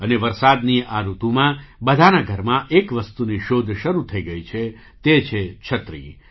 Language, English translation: Gujarati, And during this rainy season, the thing that has started being searched for in every home is the ‘umbrella’